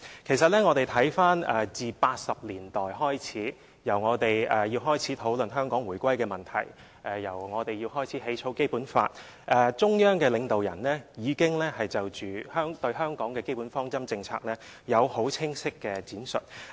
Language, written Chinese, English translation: Cantonese, 其實，自我們在1980年代開始討論香港回歸的問題和草擬《基本法》以來，中央領導人已經就香港的基本方針政策有很清晰的闡述。, In fact since we had started the discussion on the issue of Hong Kongs return to the Motherland and the drafting of the Basic Law in the 1980s leaders of the Central Government have given a clear explanation on Chinas basic policies regarding Hong Kong